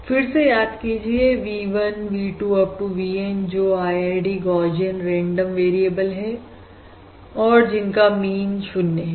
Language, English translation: Hindi, Now again, recall, recall V1, V2… Up to VN, are IID: 0 mean Gaussian random variables